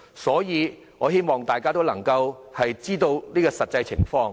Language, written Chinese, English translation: Cantonese, 所以，我希望大家認清這實況。, I hope Members can really understand this reality